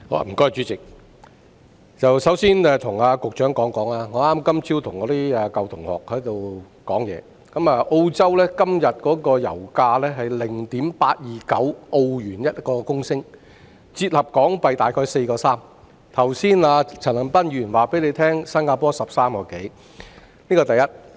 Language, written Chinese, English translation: Cantonese, 代理主席，我首先要跟局長說，我今天早上剛與舊同學討論，澳洲現時每公升油價是 0.829 澳元，折合約為 4.3 港元，陳恒鑌議員剛才告訴大家新加坡的油價是每公升約13元，這是第一點。, Deputy President the first thing I want to tell the Secretary is that from the discussion with my old classmates this morning I learnt that the current pump price in Australia is A0.829 per litre amounting to HK4.3 . Just now Mr CHAN Han - pan told us that the pump price in Singapore was around 13 per litre . This is the first point